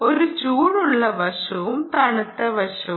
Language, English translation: Malayalam, there is a hot side and then there is a cold side